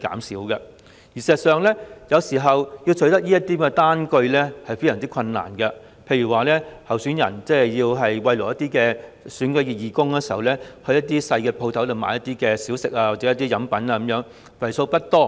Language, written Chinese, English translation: Cantonese, 事實上，有時候要取得這些單據也非常困難，例如當候選人要慰勞選舉義工時，會在小商店購買小食或飲品，金額不大。, In fact it is sometimes very difficult to obtain expenditure receipts . For instance if a candidate wants to show appreciation to his election volunteers he will buy snacks or drinks from a small shop and the amount will not be big